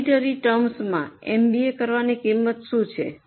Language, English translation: Gujarati, What is the cost of doing MBA